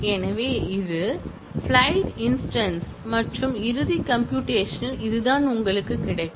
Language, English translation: Tamil, So, this is the instance of the flights and on the final computation, this is what you get